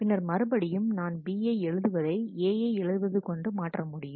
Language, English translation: Tamil, Then again, I can see that write B can be swapped with write A